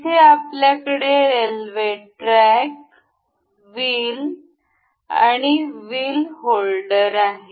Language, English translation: Marathi, Here, we have a rail track, a wheel and a wheel holder